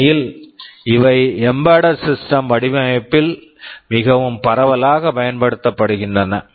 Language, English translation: Tamil, In fact and these are very widely used in embedded system design